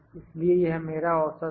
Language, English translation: Hindi, So, this is my average